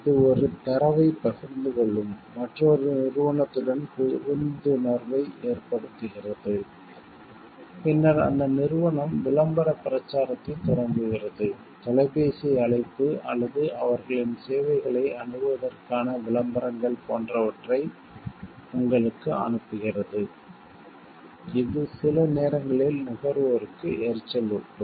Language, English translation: Tamil, It enters into a understanding with another company with whom it shares a data and then that company starts promotional campaigning does phone call or sends you like advertisements for accessing their services which sometimes become like maybe irritating for the consumer